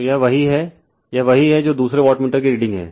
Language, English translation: Hindi, So, , this is what , this is what you are reading of the second wattmeter